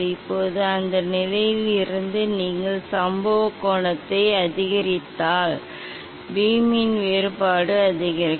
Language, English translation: Tamil, now from that position if you increase the incident angle, then the divergence of the beam will increase